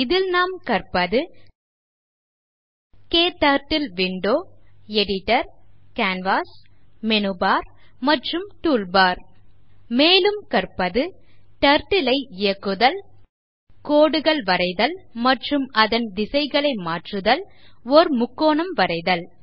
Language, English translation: Tamil, In this tutorial, we will learn about KTurtle Window Editor Canvas Menu Bar Toolbar We will also learn about, Moving the Turtle Drawing lines and changing directions